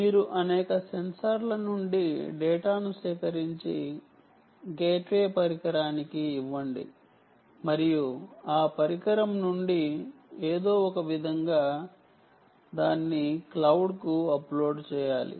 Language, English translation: Telugu, ok, you gather data from several censors, give it to a gateway device and somehow from that device it should be uploaded to the cloud, right